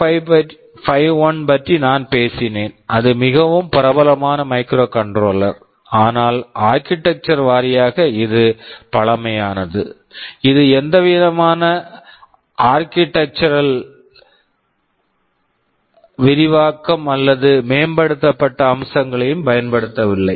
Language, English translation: Tamil, Well I talked about 8051 that was a very popular microcontroller no doubt, but architectureal wise it was pretty primitive, it did not use any kind of architectural enhancement or advanced features ok